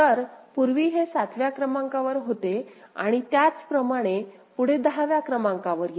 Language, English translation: Marathi, So, earlier it was in 7th and similarly for the next case was in 10th